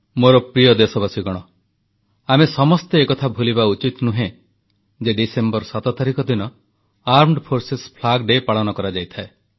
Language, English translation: Odia, My dear countrymen, we should never forget that Armed Forces Flag Day is celebrated on the 7thof December